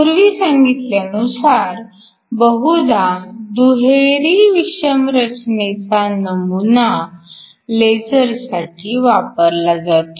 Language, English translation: Marathi, As we mentioned earlier usually a double hetero structure model is used for lasers